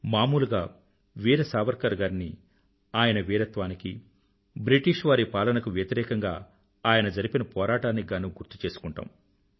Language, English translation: Telugu, Generally Veer Savarkar is renowned for his bravery and his struggle against the British Raj